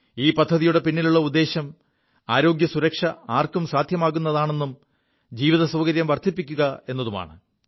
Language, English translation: Malayalam, The motive behind this scheme is making healthcare affordable and encouraging Ease of Living